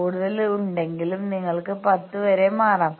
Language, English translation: Malayalam, If you have more you can switch over to up to 10 etcetera